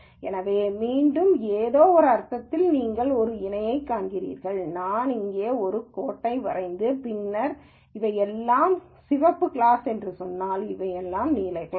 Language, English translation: Tamil, So, again in some sense you see a parallel, saying if I were to draw a line here and then say this is all red class, this is all blue class